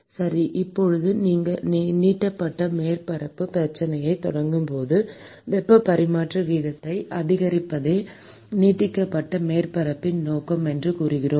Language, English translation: Tamil, Okay, so now, we said that when we started this extended surfaces problem, we said that the purpose of extended surface is essentially to increase the heat transfer rate